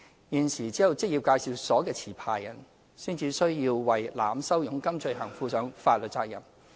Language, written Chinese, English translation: Cantonese, 現時只有職業介紹所的持牌人才須為濫收佣金罪行負上法律責任。, At present only the licensee of an employment agency could be held liable to the overcharging offence